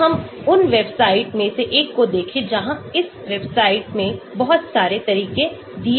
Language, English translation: Hindi, Let us look at one of those website, where there are a lot of methods are given in this website